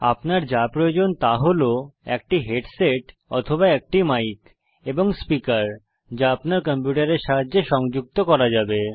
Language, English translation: Bengali, All you need is a headset with an audio input or a stand alone microphone and speakers which can be attached to your computer